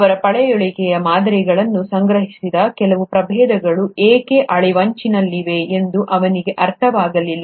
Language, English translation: Kannada, He also did not understand why certain species for which he had collected the fossil samples become extinct